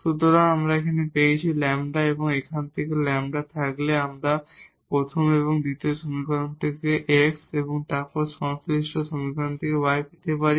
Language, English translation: Bengali, So, from here we got basically lambda; once we have the lambda here we can get x and then corresponding y from this first and the second equations